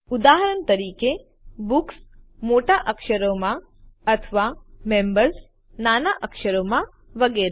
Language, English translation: Gujarati, For example: BOOKS in capital letters, or members in small letters, etc